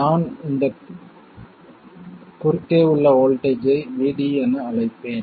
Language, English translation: Tamil, I will call the voltage across this VD and the current through it as ID